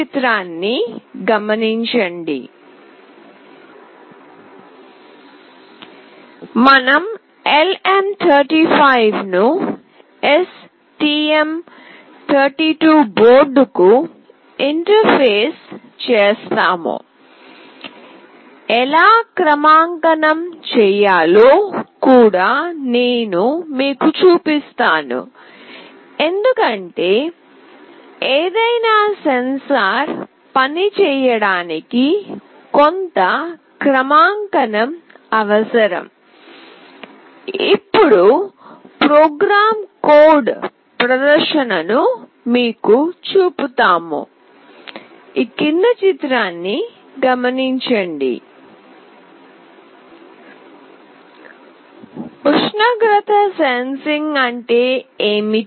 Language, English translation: Telugu, We will interface LM35 to STM32 board will also show you how we can calibrate, because for any sensor to work some kind of calibration is required, the program code and the demonstration